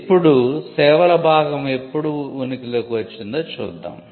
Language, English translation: Telugu, Now, we will see when the services part came into being